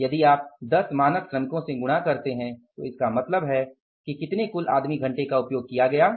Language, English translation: Hindi, If you multiply by the 10 standard workers, so it means how many total man hours have been used